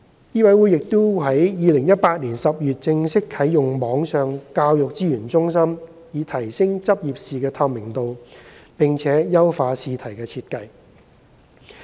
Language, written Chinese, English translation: Cantonese, 醫委會亦已於2018年10月正式啟用網上教育資源中心，以提升執業試的透明度及優化試題的設計。, In addition MCHK officially launched the Virtual Education Resource Centre in October 2018 to improve the transparency of LE and refine the examination questions